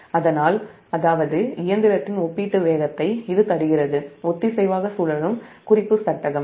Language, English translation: Tamil, it gives the relative speed of the machine with respect to the synchronously revolving reference frame